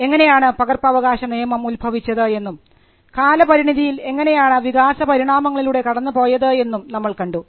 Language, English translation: Malayalam, We just saw the introduction to copyright and how it originated and evolved over a period of time